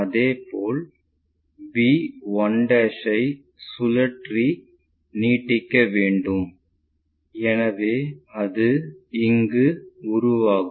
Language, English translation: Tamil, Similarly, we have to extend b 1' in such a way that this length will be rotated